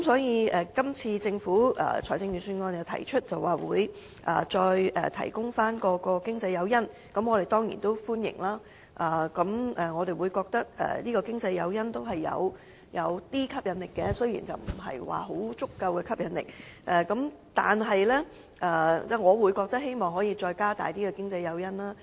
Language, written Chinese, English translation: Cantonese, 因此，政府在今次財政預算案提到會再次提供經濟誘因，我們當然歡迎，因為經濟誘因是有吸引力的，雖然不是相當足夠，但我希望政府可以增加經濟誘因。, Hence the Government has announced in this Budget to provide economic incentives again . We certainly welcome the proposal because economic incentives are appealing despite not very adequate and I hope the Government can provide more economic incentives